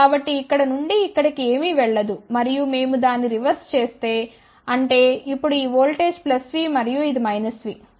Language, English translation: Telugu, So, nothing goes from here to here and if we do reverse of that; that means, now this voltage is plus v and this is minus v